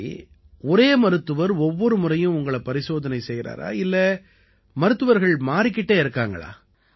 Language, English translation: Tamil, So every time is it the same doctor that sees you or the doctors keep changing